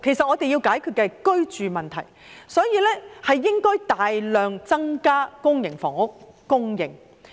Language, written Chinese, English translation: Cantonese, 我們要解決的是居住問題，所以，要大量增加公營房屋供應。, What we need to resolve is the housing problem and so we need to increase the supply of public housing substantially